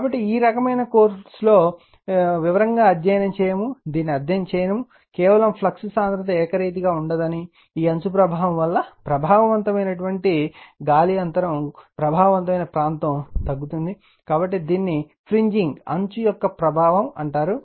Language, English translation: Telugu, So, this type of although we will not study in detail for this course, we will not study this, just to give an idea that flux density is not uniform right, an effective air because of this fringe effective your area is getting decrease right, so, this is called fringing